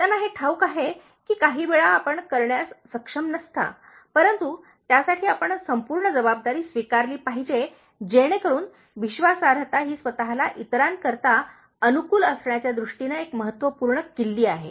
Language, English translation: Marathi, They know that, even sometimes you are not able to do something, but you will take full responsibility for that, so that trustworthiness is a very key trait in terms of making yourself likeable for others